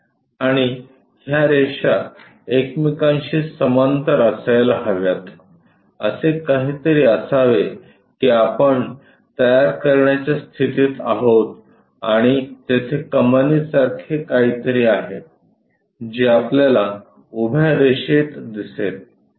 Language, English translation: Marathi, And this line this line supposed to go parallel to each other something like that we will be in a position to construct and there is something like an arc also we will see in the vertical line